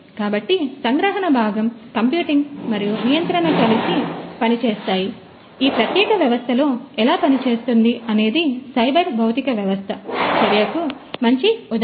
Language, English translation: Telugu, So, the sensing component the computing and the control working together hand in hand, this is how this particular system works so, this is a good example of a cyber physical system in action